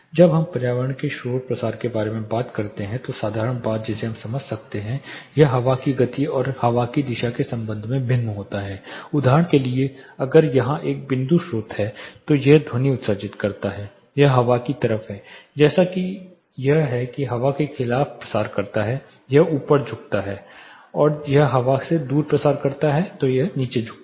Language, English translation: Hindi, (Refer Slide Time: 23:10) When we talk about environmental noise propagation simple thing we can understand it varies with respect to the wind speed and the wind direction say if there is a point source here it is emitting, this is a windward side as it propagates against the wind it tends to bend up, as it propagates away from the wind it tends to bend down